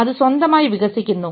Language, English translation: Malayalam, Is it evolving on its own